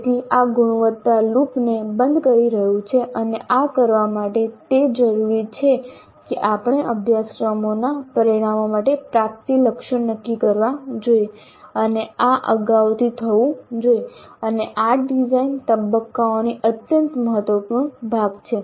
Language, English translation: Gujarati, So this is closing the quality loop and in order to do this it is necessary that we must set attainment targets for the course outcomes and this must be done upfront and this is part of the design phase an extremely important part of the design phase